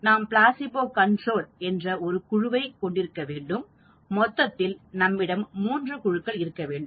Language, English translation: Tamil, So we need to have a placebo group and that is what is called concurrent control